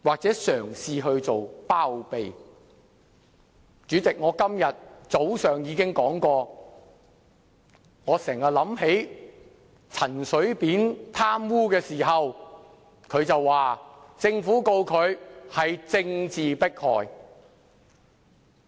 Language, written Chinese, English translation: Cantonese, 主席，我今天早上已說過，我經常想起陳水扁被控貪污時表示，政府控告他是政治迫害。, President as pointed by me this morning I always recall the claims of political suppression made by CHEN Shui - bian when he was charged for corruption